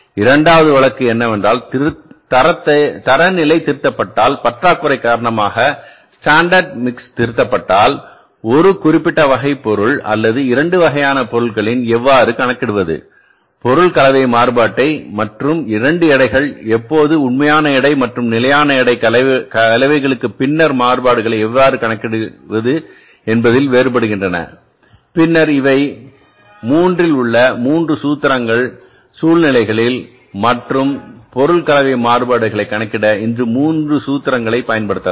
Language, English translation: Tamil, Second case is if the standard is revised, if the standard mix is revised because of the shortage of the one particular type of the material or the two types of the materials how to calculate the material mix variance and when the two weights that is the actual weight and the standard weight of the mixes differ then how to calculate the variances then these are the 3 formulas in the 3 situations and we can use these formulas to calculate the material mixed variances now we go for the next one and the last variance that is called as a material yield variance m yv material yield variance that is called as a MIB